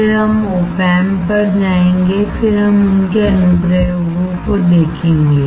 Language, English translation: Hindi, Then we will go to the op amp and then we will see their applications